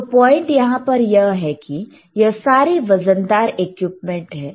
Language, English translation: Hindi, So, point is, these are heavy equipment why it is so heavy